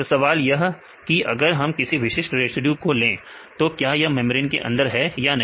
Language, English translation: Hindi, So, the question is if we take an particular residue this is inside the membrane or not